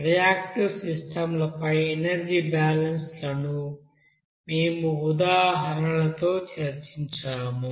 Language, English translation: Telugu, So we were discussing energy balances on reactive systems with examples